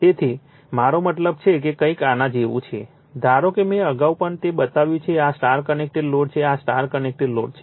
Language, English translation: Gujarati, Suppose, you have a suppose you have a we have seen already I have made it for you before right, this is a star connected load right, this is a star connected load